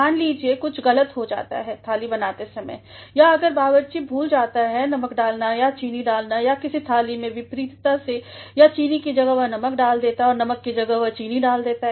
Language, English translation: Hindi, Suppose, something goes wrong while preparing a dish or if the cook forgets to put salt or to sugar to any dish or the vice versa or in place of sugar he puts the salt and in place of salt he puts the sugar